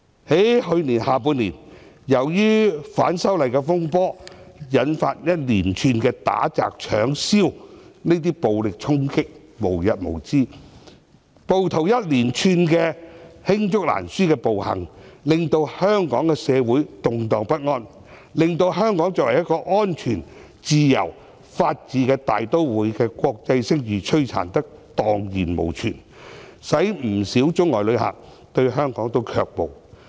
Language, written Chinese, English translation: Cantonese, 在去年的下半年，由於反修例的風波，引發一連串打、擲、搶、燒行為，暴力衝擊無日無之，暴徒一連串罄竹難書的暴行，令香港社會動盪不安，把香港作為安全自由、法治大都會的國際聲譽摧殘得蕩然無存，使不少中外旅客對香港卻步。, In the second half of last year disturbances arising from the opposition to the proposed legislative amendments have led to a series of incidents in which people attack others hurl things commit robbery and arson . Violent charges occur every day and countless brutal actions committed by rioters have caused social instability in Hong Kong . These incidents have completely destroyed Hong Kongs international reputation as a safe and free metropolitan city upholding the rule of law